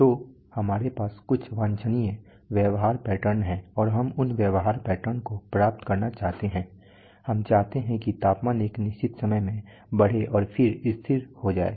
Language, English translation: Hindi, So we have some desirable behavioral patterns and we want to achieve those behavioral patterns that we want the, we want the temperature to let us say ramp up in a certain over time then be held constant